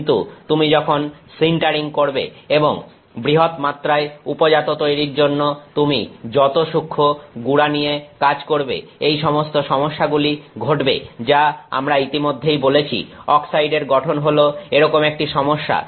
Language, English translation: Bengali, But the finer the powder you work with when you do the sintering to make this large scale product all these issues that we already spoke about an oxide formation is an issue